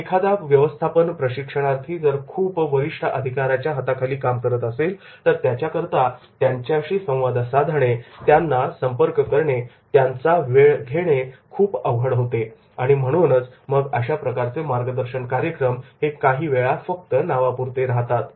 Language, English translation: Marathi, So, if a management trainee is working under a senior executives, then it becomes very difficult for him to communicate, interact and get the time, get the appointments and therefore that mentoring program sometimes that becomes ornamental